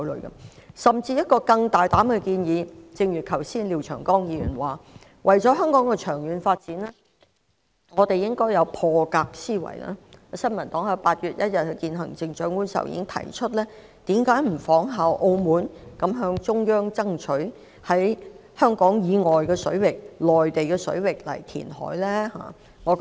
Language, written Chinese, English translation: Cantonese, 我甚至有一個更大膽的建議——正如廖長江議員剛才所說，為了香港的長遠發展，我們應該有破格思維——新民黨在8月1日與行政長官會晤時曾提出，政府為甚麼不仿效澳門的做法，向中央爭取在香港以外的水域填海？, The aforesaid suggestions are worthy of consideration . I have an even bolder idea―as Mr Martin LIAO said just now we should think out of the box for the sake of Hong Kongs long - term development―the New Peoples Party raised with the Chief Executive during our meeting with her on 1 August this question . Why does the Government not follow the example of Macao of seeking approval from the Central Government for carrying out reclamation in waters outside Hong Kong ?